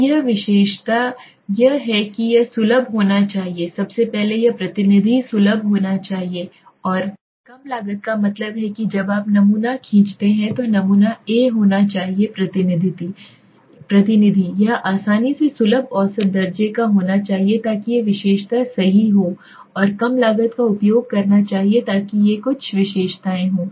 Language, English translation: Hindi, So the characteristic are it should be accessible first of all it should be representative accessible and low cost that means the sample when you draw a sample the sample should be a representative it should be easily accessible measurable so these are the characteristic right and it should be consuming low cost so these are the some of the characteristics